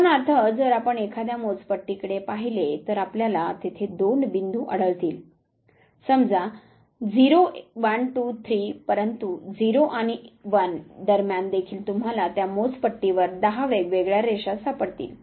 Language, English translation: Marathi, For example, if you look at a scale, you find that there are two points say 0 1 2 3, but between 0 and 1 also you will find ten different lines on this scale also